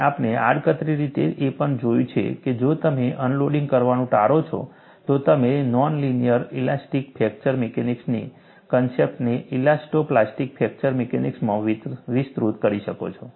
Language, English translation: Gujarati, And you have also indirectly seen, if you avoid unloading, you can extend the concept of linear elastic fracture mechanics, non linear elastic fracture mechanics to elasto plastic fracture mechanics